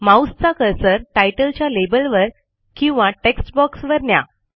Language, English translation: Marathi, Let us point the mouse over the title label or the text box